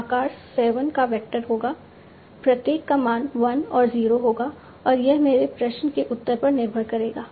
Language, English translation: Hindi, This will be a vector of size 7, each value to be 1 and 0, and this will depend on the answer of my question